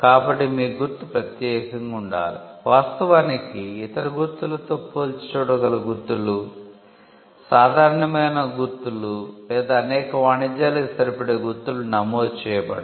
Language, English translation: Telugu, So, your mark had to be unique, in fact marks which are overlapping with other, marks or marks which are generic in nature, or marks which are common to trade cannot be registered